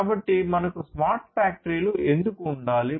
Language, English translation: Telugu, So, why at all we need to have smart factories